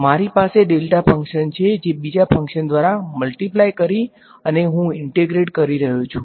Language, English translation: Gujarati, I have a delta function it is multiplying by another function and I am integrating